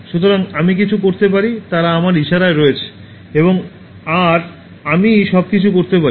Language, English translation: Bengali, So, I can do anything, they are at my mercy, they are at my beck and call I can do anything